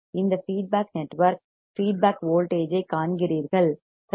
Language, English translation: Tamil, You see this feedback network right feedback voltage